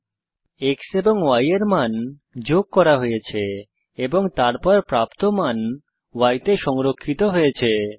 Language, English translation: Bengali, Here the value of x is added to the value of y